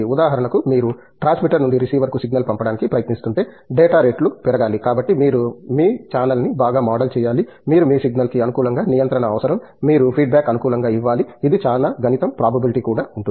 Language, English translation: Telugu, For example, if you are trying to send a signal from the transmitter to the receiver, the data rates have to are going up so you need to model your channel very well, you need do an adaptive control of your signal, you need to give a feedback adapter, it is a lot of mathematics probability too that goes in